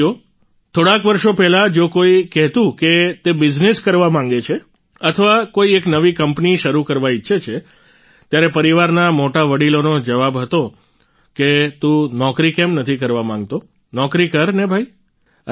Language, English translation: Gujarati, a few years back if someone used to say that he wants to do business or wants to start a new company, then, the elders of the family used to answer that "Why don't you want to do a job, have a job bhai